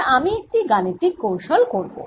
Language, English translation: Bengali, now i am going to do some mathematical trick